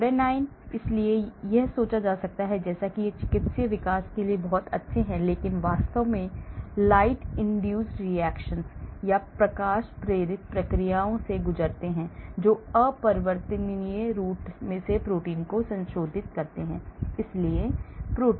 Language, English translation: Hindi, rhodanines; rhodanines, so it may be thought as if they are very good for therapeutic development but actually they undergo light induced reactions that irreversibly modify the protein